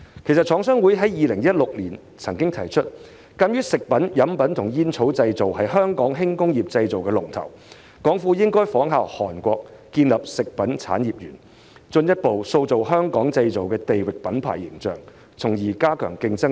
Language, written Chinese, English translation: Cantonese, 其實，廠商會曾在2016年指出，鑒於"食品、飲品及煙草製造"是香港輕工業和製造業的龍頭，政府應仿效韓國建立食品產業園，進一步塑造"香港製造"的地域品牌形象，從而加強競爭力。, Given that food beverage and tobacco manufacturing is Hong Kongs leading light manufacturing industry CMA actually suggested back in 2016 that the Government should follow the example of Korea by setting up a food industrial park to further strengthen the image building of the Made in Hong Kong brand thereby enhancing our competitiveness